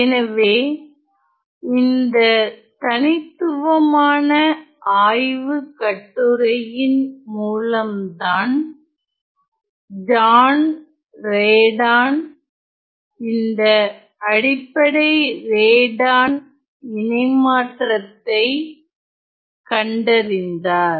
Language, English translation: Tamil, So, it was this phenomenal paper through which John Radon discovered the fundamental Radon transforms